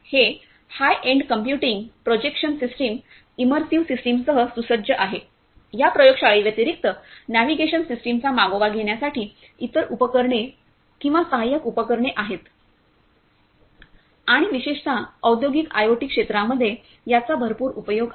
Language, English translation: Marathi, And it is equipped with high end computing, projection system, immersive system, tracking a navigation system apart from this laboratory is having other accessories or supporting equipment and it has lot of application in particularly in the area of industrial IoT and we can go through this particular facility thank you